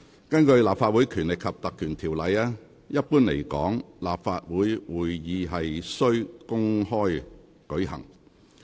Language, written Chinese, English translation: Cantonese, 根據《立法會條例》，一般來說，立法會會議須公開舉行。, Under the Legislative Council Ordinance generally speaking sittings of the Council shall be open to the public